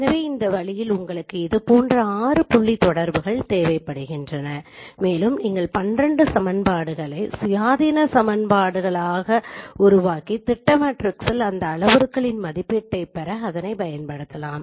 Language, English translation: Tamil, So in this way you require six such point correspondences and you can form 12 equations independent equations and use it to derive the estimate these parameters of the projection matrix